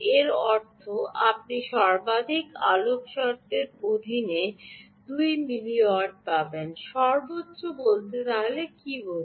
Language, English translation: Bengali, it means you will get two milliwatt under maximum lighting condition, maximum, what do you mean maximum